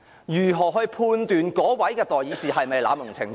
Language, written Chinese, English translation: Cantonese, 如何判斷議員有否濫用程序呢？, How to judge whether Members have abused the procedure then?